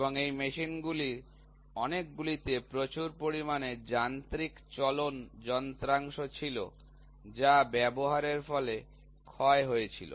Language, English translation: Bengali, So, and lot of these machines had lot of mechanical moving parts which had wear and tear